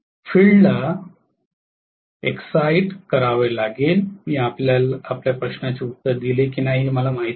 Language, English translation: Marathi, The field has to be excited I do not know whether I answered your question